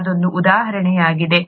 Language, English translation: Kannada, That was an example